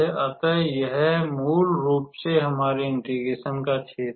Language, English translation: Hindi, So, this is my area of integration and